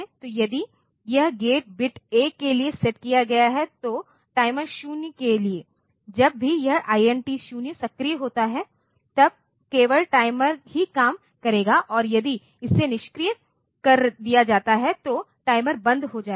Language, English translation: Hindi, So, if this gate bit is set to 1 then for timer 0, whenever this INT 0 is activated, then only the timer will operate and if it is deactivated then the timer will stop